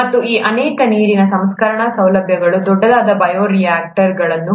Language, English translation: Kannada, And many of these water treatment facilities have bioreactors that are large